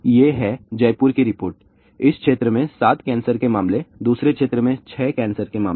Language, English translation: Hindi, These are the reports in Jaipur; 7 cancer cases in one area, 6 cancer cases in another area